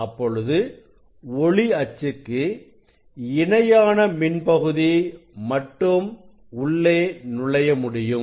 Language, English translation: Tamil, only electric component parallel to the optics axis will pass through it